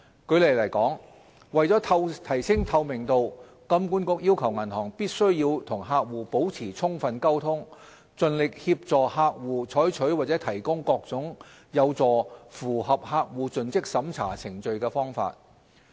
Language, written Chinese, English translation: Cantonese, 舉例來說，為了提升透明度，金管局要求銀行必須與客戶保持充分溝通，盡力協助客戶採取或提供各種有助符合客戶盡職審查程序的方法。, In order to enhance transparency for instance HKMA requires banks to maintain adequate communication with customers and endeavour to assist customers in taking steps or providing alternatives that can help satisfy the CDD requirements